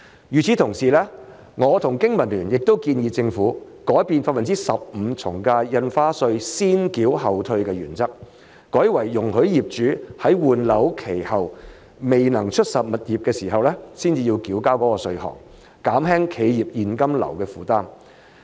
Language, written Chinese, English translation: Cantonese, 與此同時，我和經民聯也建議政府改變 15% 從價印花稅先繳後退的原則，改為容許業主在換樓期後未能出售物業的情況下才須繳交該稅項，減輕企業現金流的負擔。, At the same time both the Business and Professionals Alliance for Hong Kong and I suggest that the Government should change the principle of paying ad valorem stamp duty at 15 % first and getting refund later and instead allow owners to pay the duty only if they are unable to sell their property within the time limit for property replacement so as to ease the burden of cash flow on enterprises [sic]